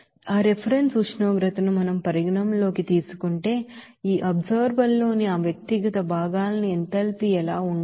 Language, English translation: Telugu, Now, if we consider that reference temperature, what should be the enthalpy for that individual components in this absorber